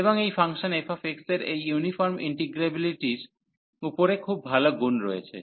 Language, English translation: Bengali, And this function f x has this nice property above this uniform integrability